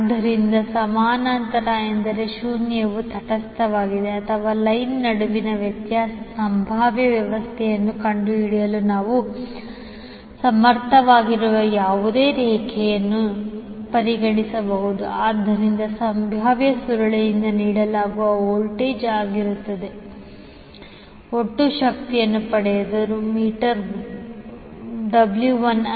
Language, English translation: Kannada, So parallel means the zero is neutral or you can consider a any line through which we are able to find out the difference potential difference between a and o so V a o will be the voltage which will be given by the potential coil and will get the total power that is W N from the meter W 1